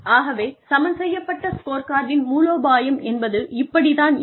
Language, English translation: Tamil, This is what, balanced scorecard strategy, looks like